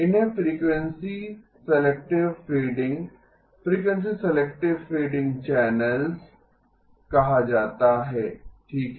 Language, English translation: Hindi, These are called frequency selective fading, frequency selective fading channels okay